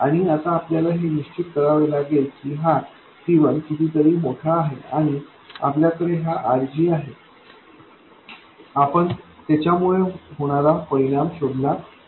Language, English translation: Marathi, And now we have to make sure that this C1 is much larger than something and we have this RG, we have to find out the effect of that and so on